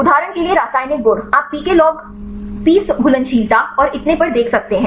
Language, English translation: Hindi, For example chemical properties you can see pKa log P solubility and so on